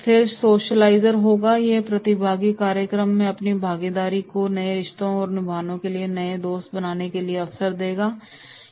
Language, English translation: Hindi, Then there will be the socialiser, these participants regard their participation in the program as an opportunity to cultivate new relationships and make new friends